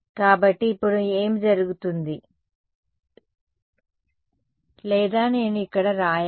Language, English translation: Telugu, So, what happens now or let me maybe I should write it over here